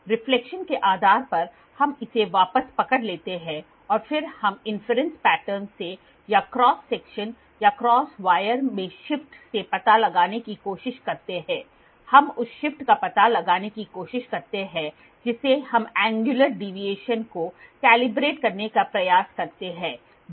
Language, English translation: Hindi, Based upon the reflection we capture it back and then we try to figure out from the inference pattern or from the shift in cross section or cross wire we try to find out the shift from that we try to calibrate the angular deviation which is on a surface